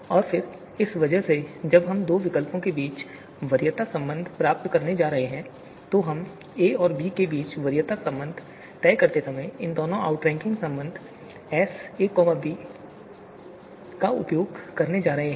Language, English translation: Hindi, So you know and then because of this, when we are going to derive the preference relation between two alternatives, we are going to use both of these outranking relation, S of a comma b and S of b comma a while deciding on the preference between a and b